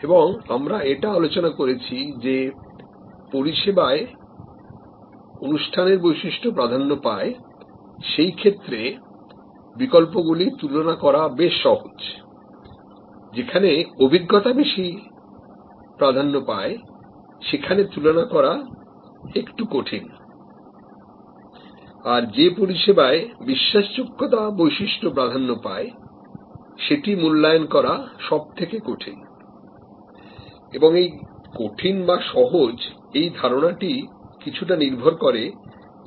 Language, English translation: Bengali, And we have discussed that it is easier to compare the alternatives in those cases, where search attribute dominates, experience is the little bit more difficult and credence attribute services are more difficult to evaluate and this easy to difficult, this is also based on risk perception